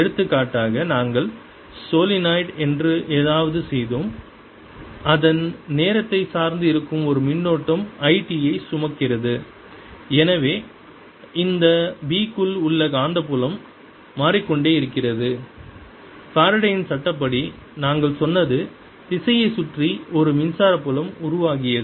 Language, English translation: Tamil, for example, we did something in which is solenoid, whose carrying a current which was time dependent i, t, and therefore the magnetic field inside this b was changing and that we said by faraday's law, gave rise to an electric field going around um direction